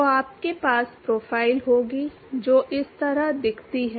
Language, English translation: Hindi, So, you will have profile which look like this